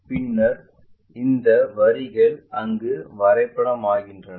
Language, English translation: Tamil, Then these lines maps there